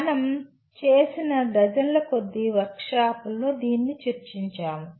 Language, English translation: Telugu, This has been borne out by dozens of workshops that we have done